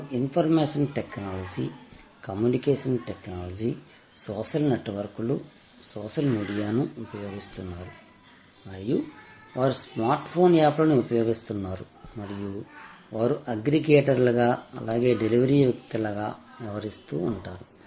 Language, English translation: Telugu, They use information technology, communication technology, social networks, social media and they use a smart phone apps and they act as aggregators as well as deliverers